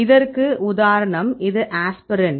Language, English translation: Tamil, Here is one example this is aspirin